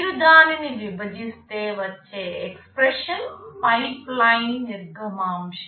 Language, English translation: Telugu, If you divide it, you get an expression, this is pipeline throughput